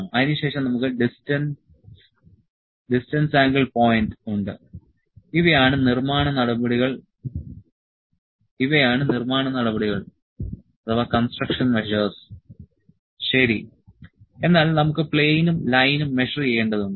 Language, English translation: Malayalam, Then we have distance angle point these are the construction measures, ok, but we need to measure the measure plane, measure the line